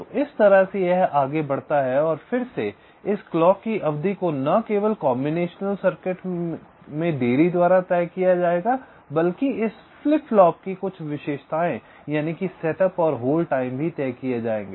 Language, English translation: Hindi, this clock period will be decided not only by the combination circuit delay, but also some characteristics of this flip flop, this set up and hold times